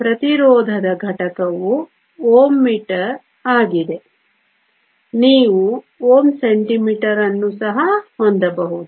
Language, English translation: Kannada, The unit of resistivity is ohm meter, you can also have ohm centimeter